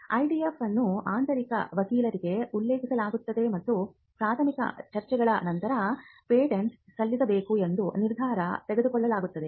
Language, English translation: Kannada, Now, the IDF is referred to an in house attorney and after the preliminary discussions a decision is taken whether to file a patent and how to file the patent